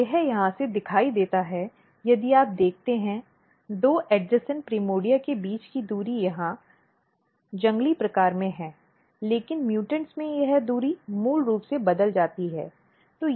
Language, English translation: Hindi, So, this is visible from here if you look, the distance between two, primordia two adjacent primordia is here in the wild type, but in the mutants this distance is basically changed